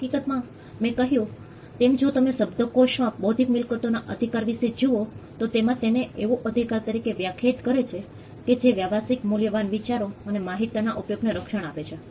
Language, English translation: Gujarati, In fact, as I mentioned if you look a dictionary meaning intellectual property rights can be defined as rights that protect applications of ideas and information that are of commercial value